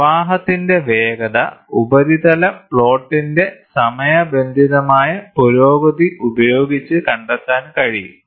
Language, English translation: Malayalam, The speed of flow can be done by timing the progress of a surface plot